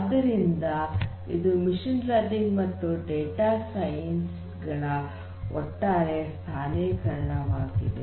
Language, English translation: Kannada, So, this is the overall positioning of machine learning and data science